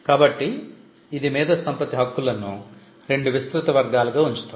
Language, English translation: Telugu, So, this makes intellectual property rights, it puts intellectual property rights into 2 broad categories 1